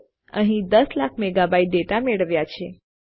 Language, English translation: Gujarati, So weve got a million megabyte of data here